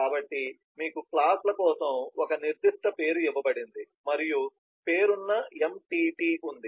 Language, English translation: Telugu, so you have a specific name given for classes and named entity